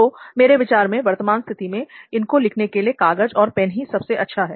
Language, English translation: Hindi, So I think pen and paper is the best to write those things now